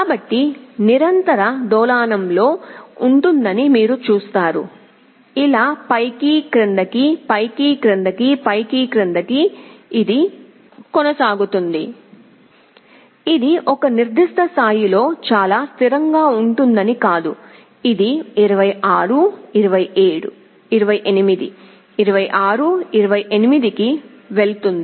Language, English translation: Telugu, So, you will see there will be a continuous oscillation like this up down, up down, up down this will go on, it is not that it will be very stable at a certain level, it will be going 26, 28, 26, 28 something like this will happen